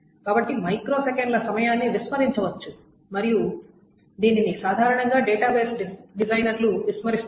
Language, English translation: Telugu, So the microseconds time can be ignored and it is generally ignored by the database designers